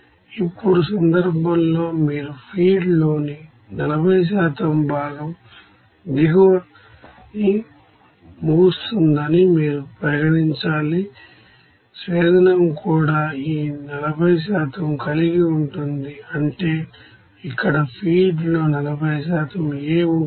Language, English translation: Telugu, Now in this case you have to consider that 40% of component A in the feed ends up in the bottom, distillate also will have this 40% of that, that means here 40% of A in the feed